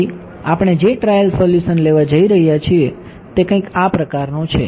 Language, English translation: Gujarati, So, the trial solution we are going to take something like this